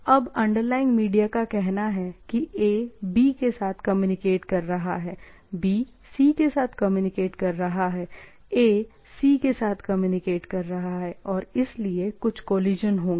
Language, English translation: Hindi, Now, the underlying media say like A communicates, A communicates with B, B communicates with C, A communicates with C